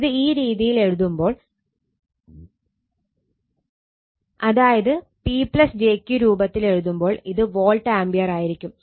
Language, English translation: Malayalam, But, when you write in this form P plus jQ 30 plus j 20, it will be volt ampere that is why this together